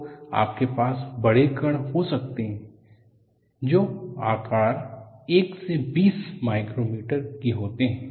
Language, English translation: Hindi, So, you could have large particles which are of size 1 to 20 micrometers